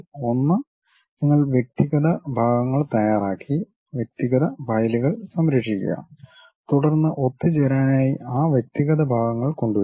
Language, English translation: Malayalam, One you prepare individual parts, save them individual files, then import those individual parts make assemble